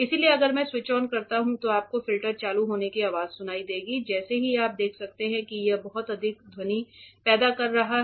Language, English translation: Hindi, So, if I when I switch on you will hear the filter turning on as you can see it is creating lot of sound